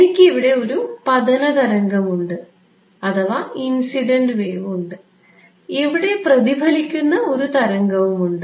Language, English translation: Malayalam, So, I have an incident wave over here and a reflected wave over here ok